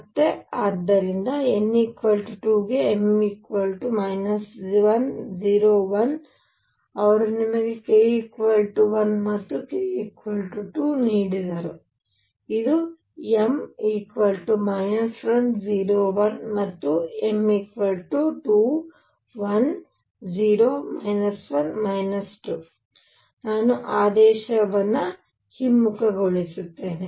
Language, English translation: Kannada, And therefore, m equal to minus 1 0 and 1 for n equals 2 they gave you k equals 1 and k equals 2, this was m equals minus 1 0 1 and m equals 2 1 0 minus 1 minus 2 I will reverse the order and so on